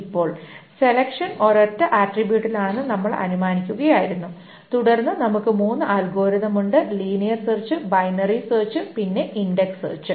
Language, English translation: Malayalam, Now, this wall we have been assuming that the selection is on a single attribute and then we have three algorithms, the linear search, the binary search and the index search